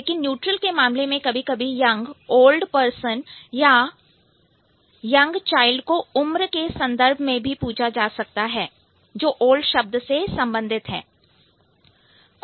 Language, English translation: Hindi, But in case of neutral, it sometimes it, an old person or like a young child might be asked in the context of age which is related to the word old, right